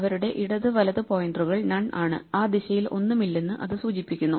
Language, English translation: Malayalam, Their left and right pointers will be None indicating there is nothing in that direction